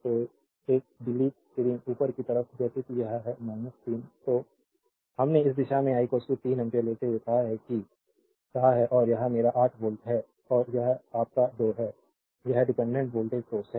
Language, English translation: Hindi, So, we have taking this direction say I is equal to 3 ampere and this is my 8 volt and this is your 2 I right this is dependent voltage source